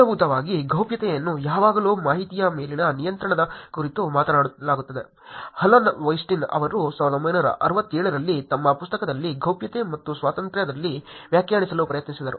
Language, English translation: Kannada, Fundamentally privacy is been always talked about control over information, here are two definitions of Alan Westin actually tried defining in his book in a ‘Privacy and Freedom’ in 1967